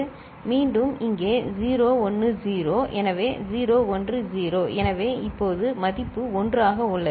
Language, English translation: Tamil, Again here 0 1 0, so 0 1 0; so, now the value is 1